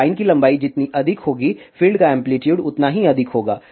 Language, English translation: Hindi, So, larger the length of the line the higher will be the amplitude of the field